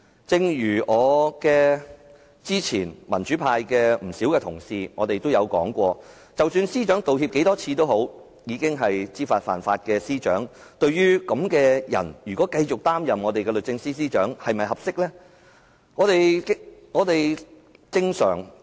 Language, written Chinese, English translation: Cantonese, 正如之前不少民主派同事說過，司長道歉多少次都好，她已經是知法犯法的司長，對於這樣的人繼續擔任我們的律政司司長，大家認為合適嗎？, As many democratic colleagues have said no matter how many times the Secretary for Justice has apologized she is already a Secretary for Justice who has deliberately broken the law . Do you think it is appropriate for her to continue serving as the Secretary for Justice of Hong Kong?